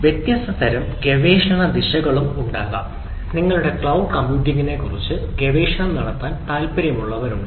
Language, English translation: Malayalam, so there can be different type of research direction and some of you ah who are interested may be doing ah, some research on the cloud computing